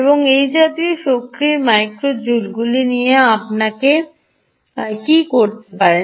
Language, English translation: Bengali, and what can you do with this kind of micro joules of energy